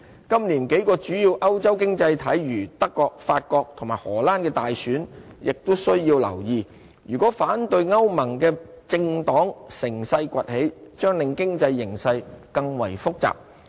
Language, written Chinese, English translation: Cantonese, 今年幾個主要歐洲經濟體如德國、法國和荷蘭的大選亦需要留意，如果反對歐盟的政黨乘勢崛起，將令經濟形勢更為複雜。, We also have to pay attention to the general elections to be held in a few major European economies this year such as Germany France and the Netherlands . The economic situations will become even more complicated if political parties against the European Union come to power